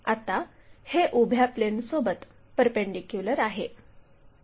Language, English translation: Marathi, This is always be perpendicular to vertical plane